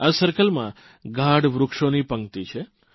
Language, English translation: Gujarati, This circle houses a row of dense trees